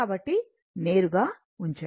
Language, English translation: Telugu, So, directly we are putting it